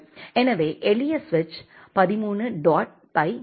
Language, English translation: Tamil, So, simple switch 13 dot py ok